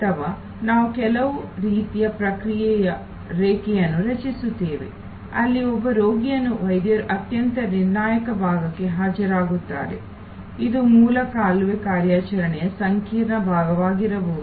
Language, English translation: Kannada, Or we create some kind of an process line, where while one patient is being attended by the doctor for the most critical part, which may be the intricate part of the root canal operation